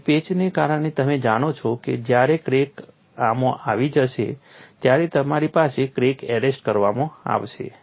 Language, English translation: Gujarati, So, because of the patch you know when the crack has come to this you will have a crack getting arrested